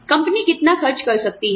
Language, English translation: Hindi, How much can the company afford